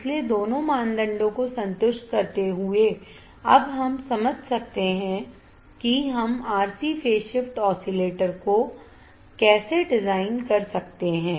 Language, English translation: Hindi, So, satisfying both the criteria, we can now understand how we can design an RC phase shift oscillator